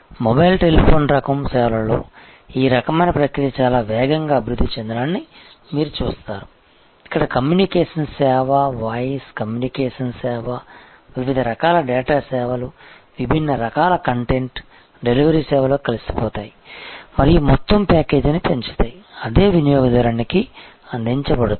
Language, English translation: Telugu, And you will see this kind of processes developing much faster in a mobile telephony type of services, where the communication service, voice communication service the different types of data services, the different type of content delivery services will get interwoven and will increase the overall package that are being delivered to the same customer